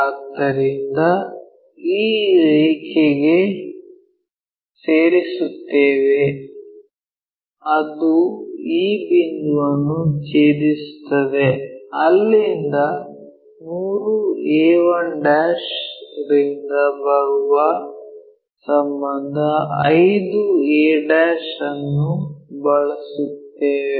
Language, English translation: Kannada, So, if we are joining this line it intersect this point here, one second one where we are using a relation 5 a' coming from 3a 1'